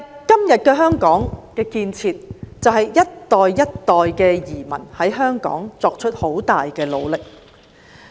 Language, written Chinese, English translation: Cantonese, 今天香港的建設，歸功於一代又一代的移民在香港所作出很大的努力。, The achievements of Hong Kong today are attributed to the great efforts made in Hong Kong by generation after generation of immigrants